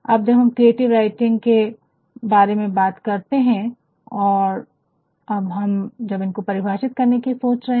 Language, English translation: Hindi, Now, when we talk about creative writing and when we think of defining it, we can also see other things which are not considered creative